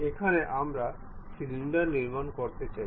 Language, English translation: Bengali, This is another way of constructing cylinder